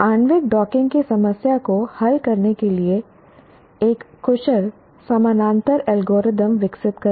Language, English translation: Hindi, Develop an efficient parallel algorithm for solving the problem of molecular docking